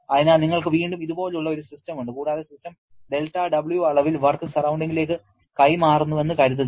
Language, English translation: Malayalam, So, again you have a system like this and let us assume system is transferring del W amount of work to the surrounding